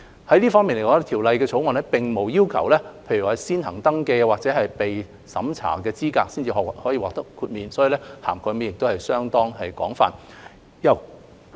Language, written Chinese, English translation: Cantonese, 在這方面來說，《條例草案》並無要求指明團體須先行登記或接受資格審查後，才可以獲得豁免，涵蓋範圍相當廣泛。, In this respect the Bill has not required that a specified body must register or undergo eligibility vetting before being granted exceptions and the coverage of specified bodies is very extensive